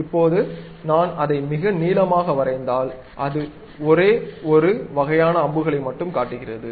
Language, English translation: Tamil, Now, if I draw it very long length, then it shows only one kind of arrow